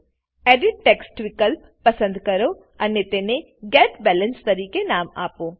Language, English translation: Gujarati, Choose the Edit text option and name it as Get Balance Now this is our GUI